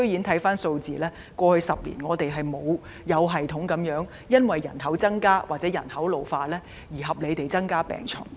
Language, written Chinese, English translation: Cantonese, 從數字看，過去10年，醫管局居然沒有因應人口增加或人口老化而有系統及合理地增加病床。, Statistically speaking HA has not systematically and rationally increased hospital beds over the past 10 years in response to the growth and ageing of our population